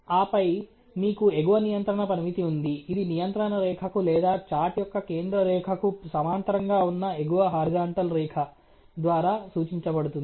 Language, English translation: Telugu, And then you have an upper control limit which is represented by a upper horizontal line probably parallel to the control line of the central line of the chart